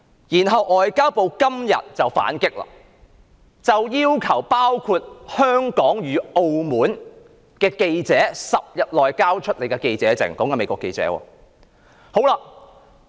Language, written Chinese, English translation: Cantonese, 然後外交部今天便反擊，要求包括香港與澳門的駐華美國記者在10天內交出記者證。, Then the Ministry of Foreign Affairs retaliated today by demanding that certain American journalists stationed in China including Hong Kong and Macao return media passes within 10 days